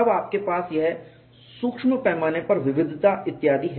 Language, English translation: Hindi, Then you have this micro scale heterogeneity and so on